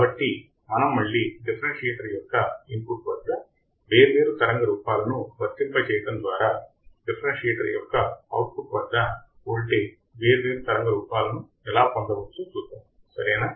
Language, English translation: Telugu, So, we will see again by applying different voltages by applying different wave forms at the input of the differentiator, we will see how we can get the different waveforms at the output of the differentiator all right